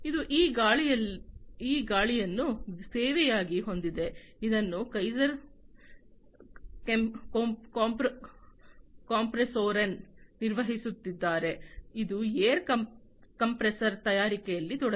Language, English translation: Kannada, This is this air as a service, which is being worked upon by Kaeser Kompressoren, which is a company which is into the manufacturing of air compressors